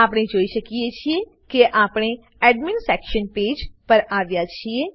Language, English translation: Gujarati, We can see that we come to the Admin Section Page